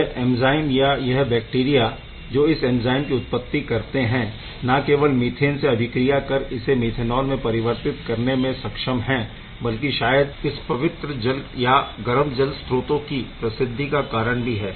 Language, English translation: Hindi, So, these enzymes or these bacteria which is producing these enzymes not only capable of converting methane to methanol and also, not only perhaps the reason for the hot spring popularity